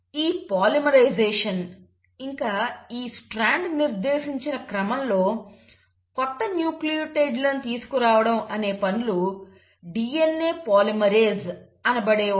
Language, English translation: Telugu, Now this polymerisation, this bringing in of new nucleotides as per the sequences just dictated by this strand is done by an enzyme called as DNA polymerase